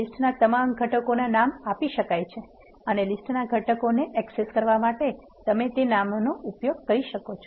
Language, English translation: Gujarati, All the components of a list can be named and you can use that names to access the components of the list